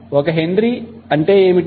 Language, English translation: Telugu, So, what is 1 Henry